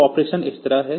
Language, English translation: Hindi, So, it will go like that